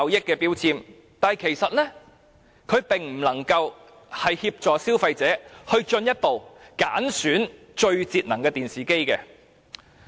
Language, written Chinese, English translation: Cantonese, 然而，這其實未能協助消費者挑選最節能的電視機。, However this actually cannot help consumers choose the most energy - saving television